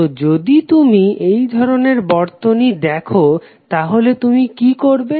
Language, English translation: Bengali, So, if you see these kind of circuits what you will do